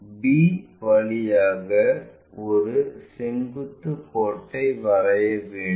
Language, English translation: Tamil, Through b we have to draw a perpendicular line